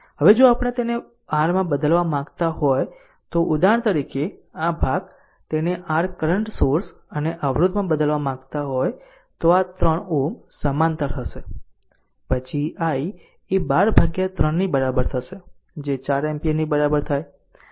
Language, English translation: Gujarati, Now, if we if we want to convert it to the your suppose for example, this portion, this portion, if you want to convert it into the your current source and the resistance, this 3 ohm will be parallel then to a i is equal to 12 by 3 that is equal to 4 ampere right